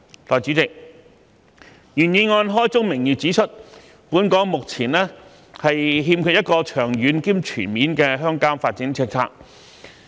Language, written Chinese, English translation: Cantonese, 代理主席，原議案開宗明義指出，本港目前欠缺一個長遠及全面的鄉郊發展政策。, Deputy President the original motion stresses right in the beginning that Hong Kong lacks a long - term and comprehensive rural development policy